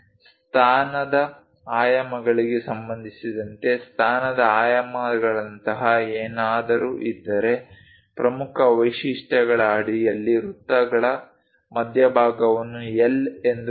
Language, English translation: Kannada, If there are something like position dimensions with respect to position dimensions locate L the center of circles under the key features